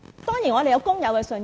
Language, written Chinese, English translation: Cantonese, 當然，我們有工友的信任。, Of course we are trusted by the workers